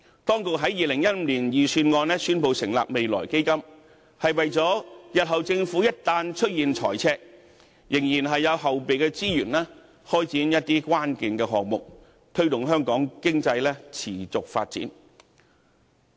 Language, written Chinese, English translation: Cantonese, 當局在2015年的財政預算案中宣布成立未來基金，是為了日後政府一旦出現財赤，仍然有後備資源開展關鍵項目，推動香港經濟持續發展。, This would not be appropriate as the Future Fund announced by the Government in the 2015 Budget aims at maintaining backup resources for key projects promoting the sustainable development of Hong Kong economy in the event of fiscal deficits in the future